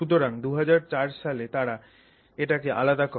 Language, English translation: Bengali, So, in 2004 they isolated it